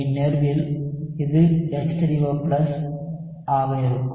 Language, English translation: Tamil, In this case it would be H3O+